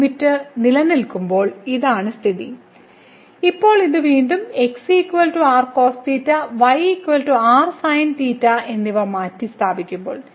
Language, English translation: Malayalam, So, this was the case when limit exist and now in this case when we substitute this again is equal to cos theta and is equal to sin theta